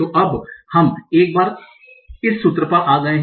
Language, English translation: Hindi, So this is the formula that we came up with